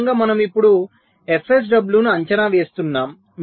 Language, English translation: Telugu, this is how we just estimate f sw